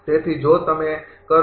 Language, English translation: Gujarati, So, if you do